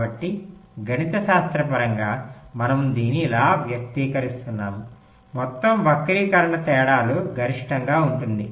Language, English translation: Telugu, so mathematically we are expressing it like this: the total skew will be maximum of the differences